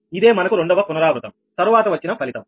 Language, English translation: Telugu, this is the result we have got after second iteration